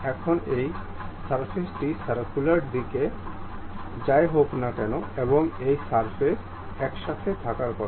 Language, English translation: Bengali, Now, this surface whatever this on the circular disc, and this surface supposed to be together